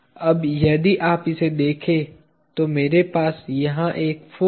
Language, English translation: Hindi, Now, if you look at it, I have a force over here